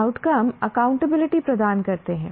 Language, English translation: Hindi, The outcomes can provide accountability